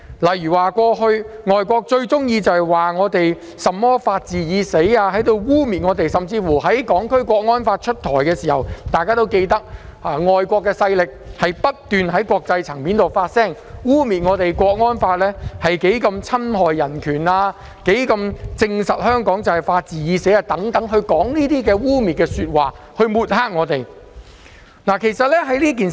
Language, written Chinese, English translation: Cantonese, 例如，外國勢力過去經常以"法治已死"一語污衊香港，甚至在提出制定《香港國安法》時不斷在國際層面發聲，污衊《香港國安法》侵害人權、證明香港法治已死等，藉以抹黑香港，相信大家對此均記憶猶新。, For example foreign powers often used the phrase the rule of law is dead to defame Hong Kong in the past . They even proposed to speak out at the international level against the enactment of the National Security Law for Hong Kong smearing it as an infringement of human rights a proof that the rule of law in Hong Kong was dead and so on with a view to defaming Hong Kong . I believe that this is still fresh in everyones mind